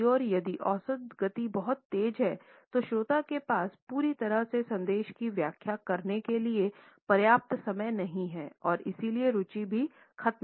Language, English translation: Hindi, On the other hand, if the average speed is too fast the listener does not have enough time to interpret fully the message and therefore, would also end up losing interest